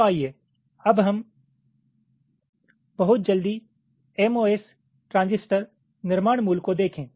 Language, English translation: Hindi, ok, so lets very quickly look at the mos transistor fabrication basic